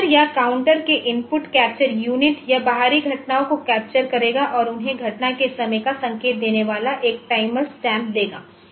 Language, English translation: Hindi, The input capture unit of timer or counter it will capture external events and give them a time stamp indicating the time of occurrence